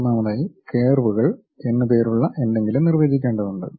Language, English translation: Malayalam, First of all we have to define something named curves